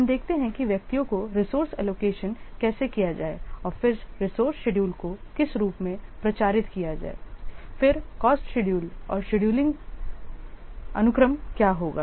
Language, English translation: Hindi, We will see about how to allocate resources to individuals, then how to publicize the resource schedules in what forms, then the cost schedules and what will the scheduling sequence